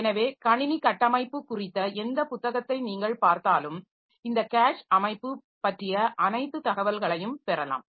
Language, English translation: Tamil, So, if you look into any book on computer architecture you can get the details of this cache organization and all